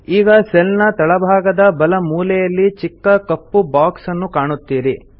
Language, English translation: Kannada, You will now see a small black box at the bottom right hand corner of the cell